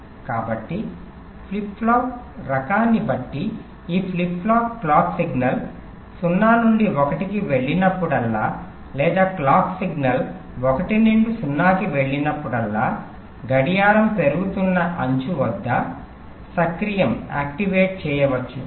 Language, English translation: Telugu, so depending on the type of flip flop, these ah flip flop can be activated either at the rising edge of the clock, whenever the clock signal goes from zero to one, or whenever the clock signal goes from one to zero